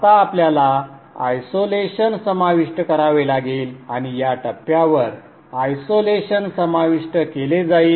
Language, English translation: Marathi, Now we have to include isolation and isolation will be included at this point